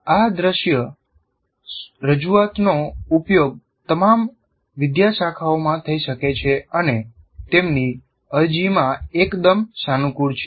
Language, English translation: Gujarati, And these visual representations can be used in all disciplines and are quite flexible in their application